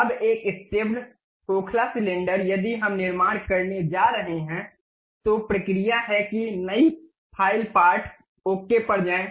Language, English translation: Hindi, Now, a stepped hollow cylinder if we are going to construct, the procedure is go to new file part ok